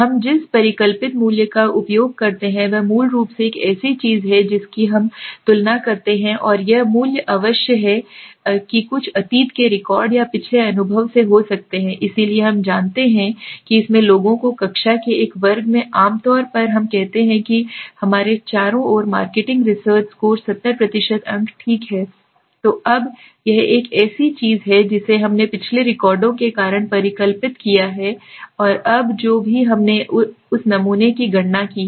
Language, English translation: Hindi, The hypothesized value that we use is basically something that we compare and this value must have come may be from some past record or past experience so we know that the people in this class generally in a class of let us say marketing research score around let us say 70% marks okay so now this is a something that we have hypothesized from the because of the past records and now whatever we have calculated from that one sample right